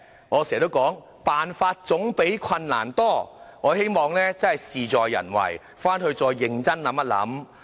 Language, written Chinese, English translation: Cantonese, 我經常說辦法總比困難多，事在人為，請政府認真研究一下。, I often say there are always more solutions than problems . I hope the Government can study this matter seriously